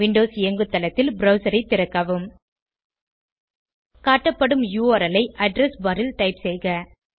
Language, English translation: Tamil, Open the browser on Windows Operating System, and in the address bar, type the URL as shown